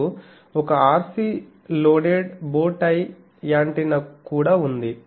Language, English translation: Telugu, Now, there is also one RC loaded bow tie antenna